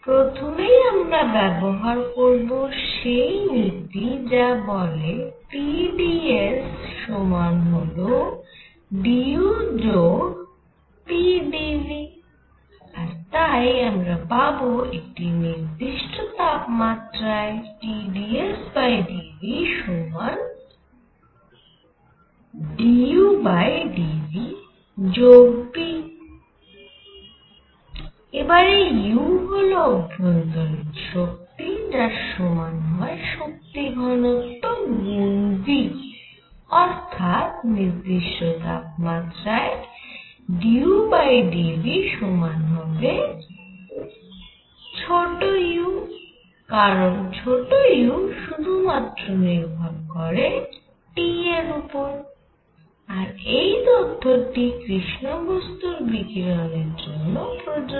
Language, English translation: Bengali, We apply the first law which says T dS is equal to d U plus p d V, alright and therefore, I am going to have T dS by d V at constant temperature is equal to d U by d V at constant temperature plus p now U is the internal energy which is equal to the energy density times V and this implies that d U by d V at constant temperature is going to be U because U depends only on T